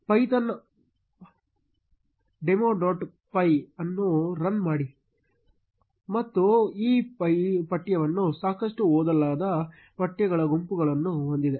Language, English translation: Kannada, Run python, python demo dot py, and there is a bunch of texts this text is pretty unreadable